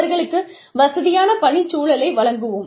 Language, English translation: Tamil, We will give them a comfortable working environment